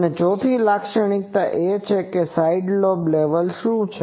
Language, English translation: Gujarati, And the 4th property is; what is the side lobe level